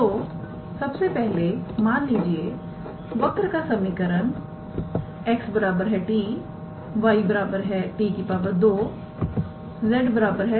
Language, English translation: Hindi, So, first of all suppose the given equation of the curve is x equals to t, y equals to t square and z equals to t cube